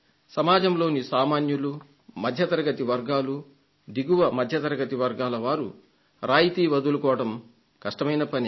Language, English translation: Telugu, The common people from the society belonging to the middle and lower middle class have difficulty in giving up subsidy